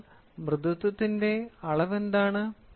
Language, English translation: Malayalam, So, now, what is the measure for the soft